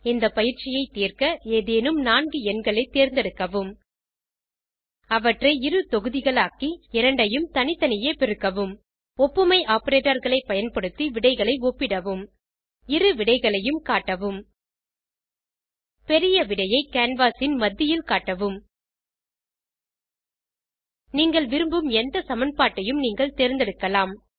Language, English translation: Tamil, To solve the assignment Choose any four random numbers Multiply two sets of random numbers Compare the results using the comparison operators Display both the results Display greater result at the center of the canvas You can choose any equation which you like